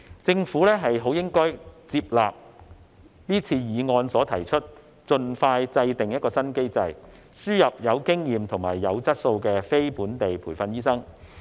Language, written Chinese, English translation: Cantonese, 政府應該接納議案提出的建議，盡快制訂新機制，輸入有經驗及有質素的非本地培訓醫生。, The Government should accept the recommendations made in the motion and formulate a new mechanism expeditiously for importing experienced and quality non - locally trained doctors